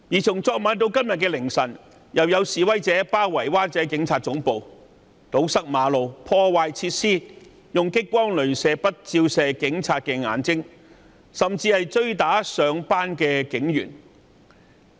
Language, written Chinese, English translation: Cantonese, 從昨晚至今天凌晨，再次有示威者包圍灣仔警察總部，堵塞馬路，破壞設施，用激光雷射筆照射警察眼睛，甚至追打上班的警員。, Last night the Police Headquarters in Wan Chai was again besieged by protesters until early morning . Apart from occupying the roads and damaging the facilities the protesters also used laser pointers to flash at police officers eyes . They even chased and beat police officers who were on their way to work